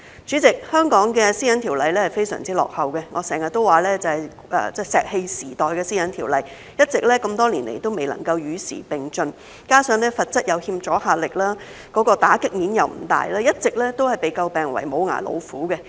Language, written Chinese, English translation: Cantonese, 主席，香港的《個人資料條例》非常落後，我經常說是石器時代的《私隱條例》，多年來一直未能夠與時並進，加上罰則有欠阻嚇力，打擊面又不大，一直都被詬病為"無牙老虎"。, President the Personal Data Privacy Ordinance PDPO in Hong Kong is very backward . I often say that it is the Ordinance of the Stone Age which has not been able to keep up with the times over the years . In addition owing to the lack of deterrent effect of its penalties and the narrow scope of regulation it has been criticized as a toothless tiger